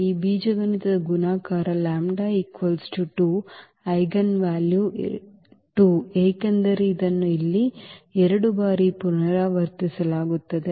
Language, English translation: Kannada, So, the algebraic multiplicity of this lambda is equal to 2 this eigenvalue 2 is because it is repeated 2 times here